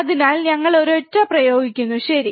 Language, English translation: Malayalam, So, we apply a single, right